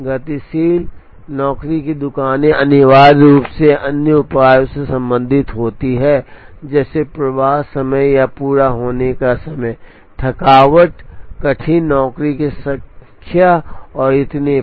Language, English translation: Hindi, Dynamic job shops are essentially concerned with other measures like, flow time or completion time, tardiness, number of tardy jobs and so on